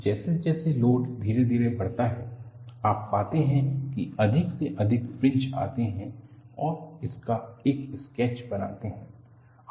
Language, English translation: Hindi, As the load is gradually increased, you find more and more fringes come and make a sketch of this